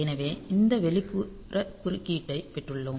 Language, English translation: Tamil, So, we have got this external interrupt